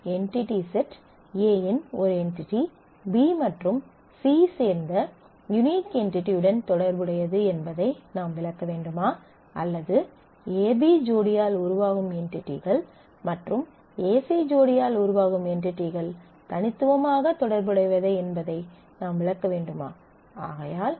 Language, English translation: Tamil, Should we interpret that an entity of entity set A is associated with unique entity from B and C together or should we associate, should we interpret that the entities formed by the pair a B and the entity formed by the pair A C are uniquely related